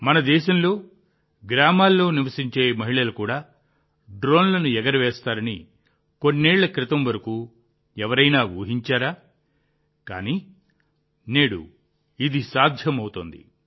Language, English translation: Telugu, Who would have thought till a few years ago that in our country, women living in villages too would fly drones